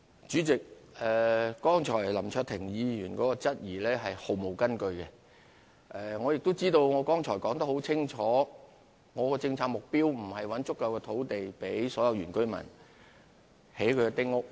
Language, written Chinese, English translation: Cantonese, 主席，剛才林卓廷議員的質疑是毫無根據的，我剛才已經說得很清楚，我們的政策目標並不是要尋找足夠土地，供所有原居民興建丁屋。, President the query raised by Mr LAM Cheuk - ting just now is completely groundless . Just now I made it very clear . It is not our policy objective to find adequate land for all the indigenous villagers to build small houses